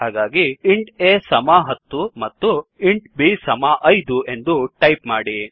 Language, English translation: Kannada, So type int a is equalto 10 and int b is equalto 5